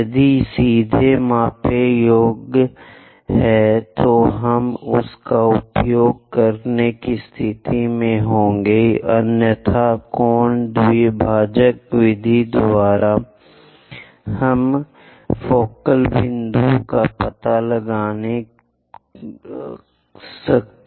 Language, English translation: Hindi, If it is straight away measurable, we will be in a position to use that; otherwise angle bisector method we will use it to locate this focal point F